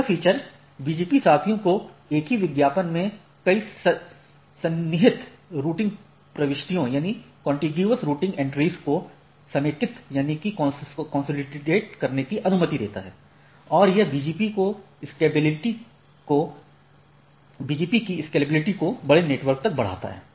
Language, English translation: Hindi, So that means, the feature allows BGP peers to consolidate multiple contiguous routing entries into a single advertisement and it significantly enhances the scalability of the BGP to the large network